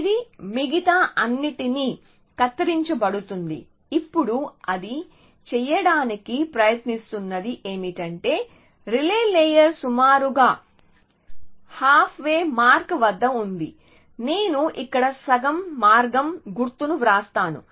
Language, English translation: Telugu, It is pruned everything else essentially now what it tries to do is that the relay layer is roughly at the half way mark I will just write half way mark here